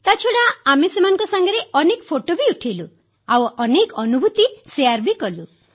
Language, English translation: Odia, But, other than that, we clicked a lot of pictures with them and shared many experiences